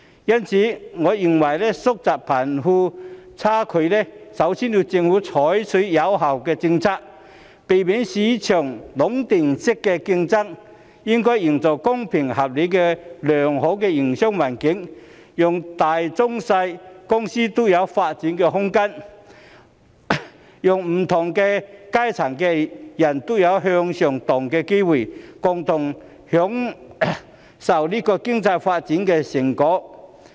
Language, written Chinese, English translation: Cantonese, 因此，我認為要縮窄貧富差距，首先要由政府採取有效政策，避免市場出現壟斷式競爭，並應營造公平合理的良好營商環境，讓大中小型公司均有發展空間，讓不同階層的人都有向上流動的機會，共同享受經濟發展的成果。, For this reason I believe that in order to narrow the disparity between the rich and the poor the Government should first adopt effective policies to avoid monopolistic competition in the market and to create a fair and reasonable business environment so that small medium and large companies can have room for development and people of different social strata can have the opportunity of upward mobility and enjoy the fruits of economic development together